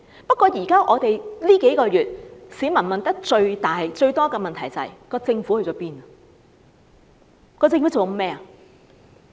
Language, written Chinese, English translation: Cantonese, 不過，這數個月來市民問得最多的問題，就是政府去了哪裏？, That said in these past several months the questions people have asked the most are Where has the Government gone?